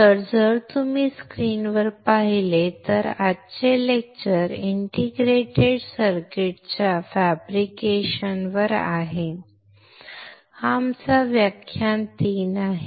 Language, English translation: Marathi, So, if you see the screen today’s lecture is on fabrication of integrated circuits, all right this is our class 3